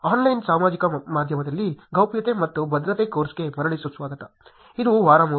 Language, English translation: Kannada, Welcome back to the course Privacy and Security in Online Social Media, this is week 3